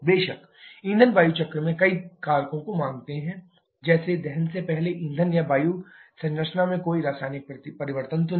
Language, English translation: Hindi, Of course, in fuel air cycle assuming several factors like no chemical change in fuel or air composition prior to combustion